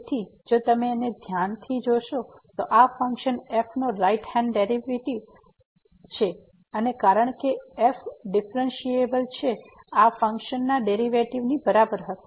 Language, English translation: Gujarati, So, if you take a close look at this one this is the right hand derivative of the function and since is differentiable this will be equal to the derivative of the function